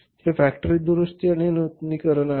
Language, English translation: Marathi, This is the factory repair and renewal